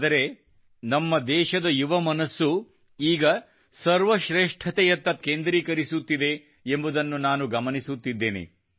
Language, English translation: Kannada, But now I'm noticing my country's young minds focusing themselves on excellence